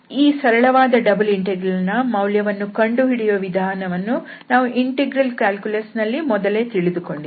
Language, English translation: Kannada, So this is the simple double integral which we have evaluated already in integral calculus